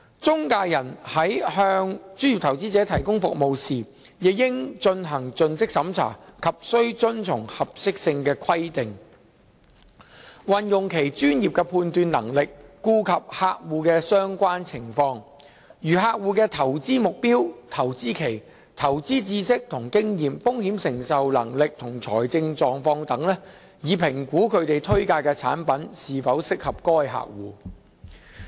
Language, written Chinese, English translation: Cantonese, 中介人在向專業投資者提供服務時，亦應進行盡職審查及須遵從合適性規定，運用其專業判斷能力，顧及客戶的相關情況，如客戶的投資目標、投資期、投資知識與經驗、風險承受能力及財政狀況等，以評估他們推介的產品是否適合該客戶。, When providing service for professional investors intermediaries should carry out due diligence and comply with the suitability requirement . They should also exercise professional judgment to assess whether the products they recommend are suitable for their clients after taking into account the clients relevant circumstances such as their investment objectives investment horizon investment knowledge and experience risk tolerance and financial situation